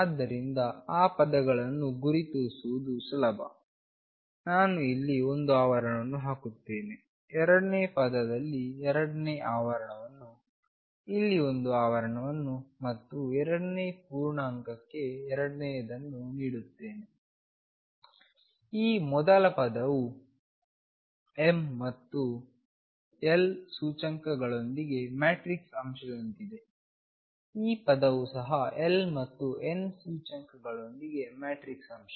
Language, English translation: Kannada, So, that terms are easy to identify, I will put one bracket here, second bracket in the second term one bracket here and second one for the second integer, this first term is like a matrix element with m and l indices this term is also a matrix element with l and n indices